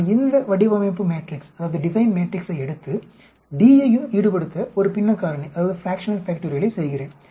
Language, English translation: Tamil, I take this design matrix and do a fractional factorial to involve d also